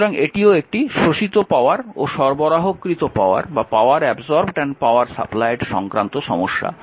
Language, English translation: Bengali, So, this is also your powers absorbed power supplied problem right